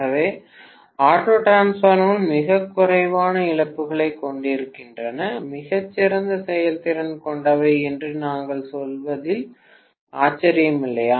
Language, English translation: Tamil, So no wonder we say auto transformers have much less losses, much better efficiency, right